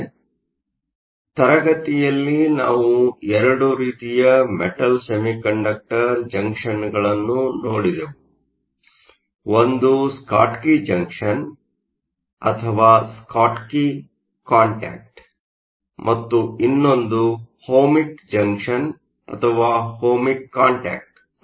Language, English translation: Kannada, So, in class we looked at 2 kinds of Metal semiconductor junctions, one was the Schottky junction or the Schottky contact and the others was the Ohmic junction or an Ohmic contact